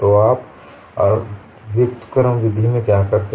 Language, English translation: Hindi, So, what you do in an inverse approach